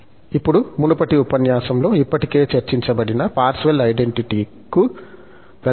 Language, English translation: Telugu, And, now, we will get to the Parseval's identity, which was already discussed in previous lecture